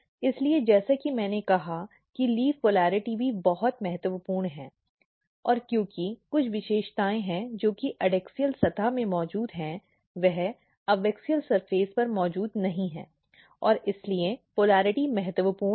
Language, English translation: Hindi, So, as I said that leaf polarity is also very important and because some of the features which are present in the adaxial surface is not present on the abaxial surface and these polarity is very very important